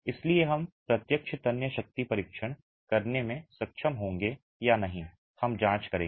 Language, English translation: Hindi, So, whether we will be able to do a direct tensile strength test or not we will examine